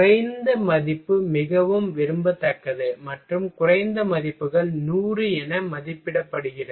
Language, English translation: Tamil, A lower value is more desirable and the lowest values is rated as 100